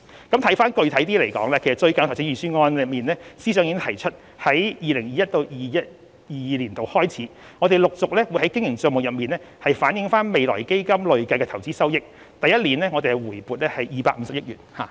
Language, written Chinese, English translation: Cantonese, 具體一點來說，司長最近已在預算案中提出由 2021-2022 年度開始，陸續在經營帳目中反映未來基金的累計投資收益，並在第一年回撥250億元。, More specifically the Financial Secretary has proposed recently in the Budget that starting from 2021 - 2022 the cumulative investment return of FF would be reflected in the Operating Account on a progressive basis with 25 billion brought back in the first year